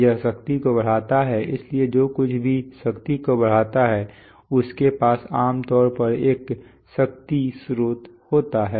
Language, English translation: Hindi, It amplifies power, so anything which amplifies power usually has a power source